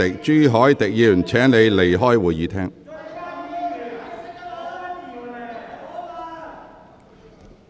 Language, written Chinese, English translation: Cantonese, 朱凱廸議員，請你離開會議廳。, Mr CHU Hoi - dick please leave the Chamber